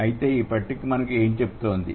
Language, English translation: Telugu, So, what does this table tell us